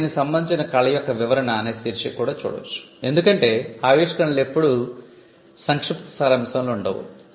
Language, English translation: Telugu, Then, it may also have a heading called description of related art because inventions are never created in abstract